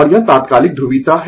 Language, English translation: Hindi, And it is instantaneous polarity